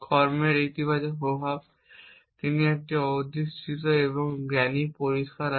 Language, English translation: Bengali, The positive effects of the action he has it has A holding it and wise clear